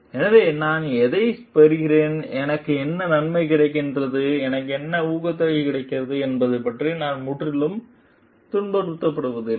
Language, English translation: Tamil, So, what do I get, what benefits do I get, what incentive do I get is it not I get totally harassed for it